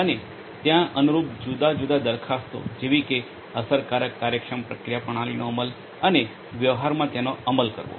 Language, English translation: Gujarati, And the different proposals correspondingly that are there; in order to implement effective efficient processing systems to be implemented and deployed in practice